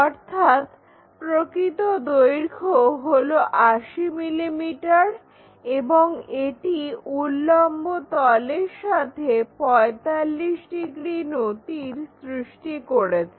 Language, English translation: Bengali, So, true length is 80 mm and it makes 45 degrees inclination with the vertical plane